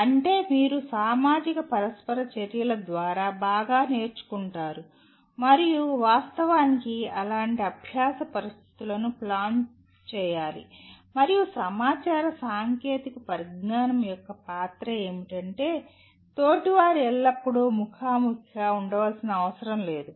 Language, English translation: Telugu, That is you learn better through social interactions and one should actually plan the learning situations like that and the role of information technology is that the peers need not be always face to face